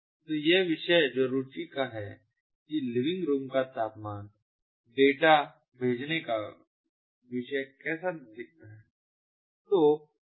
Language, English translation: Hindi, this is an example of how the topic for sending temperature data of a living room looks like